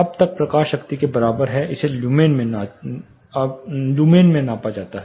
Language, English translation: Hindi, So, this is luminous flux it is measured in lumens